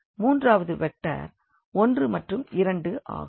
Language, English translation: Tamil, So, the third vector is this 1 and 2; this is the third vector 1 and 2